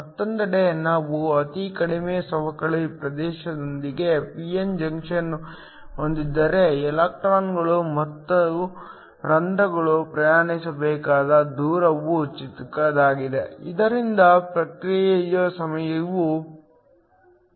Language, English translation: Kannada, On the other hand, if we have a p n junction with the very short depletion region then the distance the electrons and holes have to travel is small, so that the response time is fast